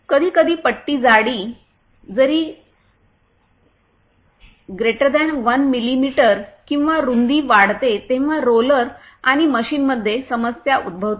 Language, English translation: Marathi, Sometimes when strip thickness (even > 1mm) or width increases, it causes the problem in the roller and the machine